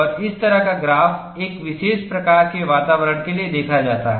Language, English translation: Hindi, And this kind of a graph, is seen for a particular kind of environment